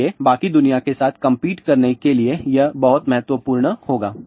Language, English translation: Hindi, So, that would be very very important to complete with the rest of the world